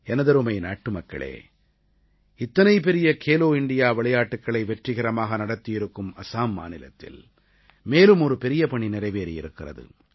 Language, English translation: Tamil, My dear countrymen, Assam, which hosted the grand 'Khelo India' games successfully, was witness to another great achievement